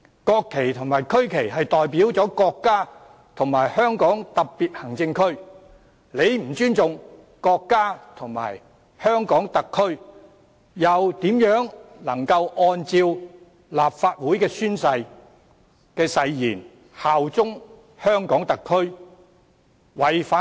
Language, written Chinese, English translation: Cantonese, 國旗及區旗代表了國家和香港特別行政區，如不尊重國家和香港特區，又如何能按照立法會誓言效忠香港特區？, The national flag and the regional flag represents the country and HKSAR . If he does not respect the country and HKSAR how can he act in accordance with the Legislative Council Oath under which he pledges to bear allegiance to HKSAR?